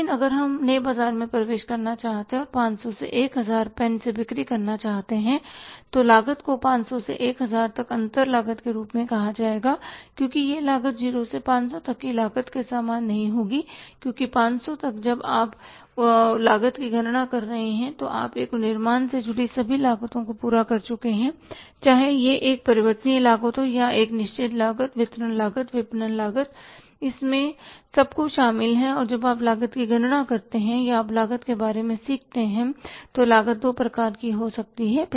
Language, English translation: Hindi, But if we want to enter into the new market and take up the sales from the 500 to 1000 pens then that cost will be called as a differential cost from 500 to 1000 because that cost will not be same as the cost was from 0 to 500 because up to 500 when you are calculating the cost you have met all the costs associated to manufacture a pen whether it is a variable cost or it is a fixed cost distribution cost marketing cost everything is included and when you calculate the cost or you learn about the cost cost has two kinds of maybe three kinds of of